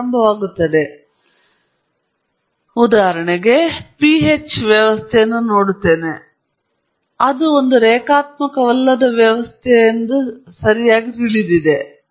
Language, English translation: Kannada, And if I know, for example, I am looking at a PH system, I know it’s a non linear system right